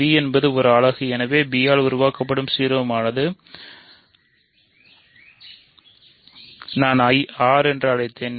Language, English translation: Tamil, So, b is a unit and hence the ideal generated by b which I called I is R ok